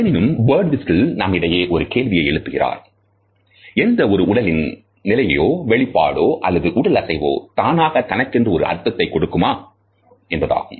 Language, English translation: Tamil, However, Birdwhistell has questioned us that “no position or expression or no physical movement ever caries meaning in itself and of itself”